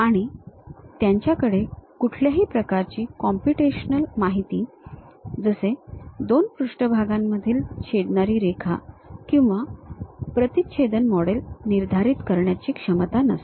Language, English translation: Marathi, And, they do not have any ability to determine computational information such as the line of intersection between two faces or intersecting models